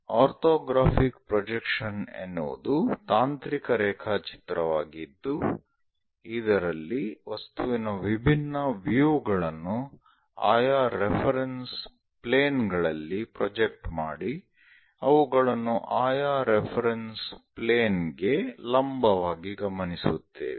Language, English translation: Kannada, An orthographic projection is a technical drawing in which different views of an object are projected on different reference planes observing perpendicular to respective reference planes